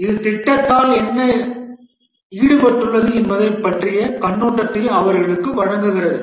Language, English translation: Tamil, This gives them an overview of what is involved in the project